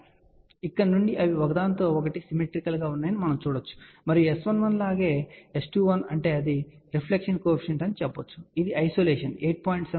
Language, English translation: Telugu, So, we can see from here they are fairly symmetrical to each other and we can say that S 11 as well as S 21 means this is the reflection coefficient this is the isolation they are less than minus 20 dB from 8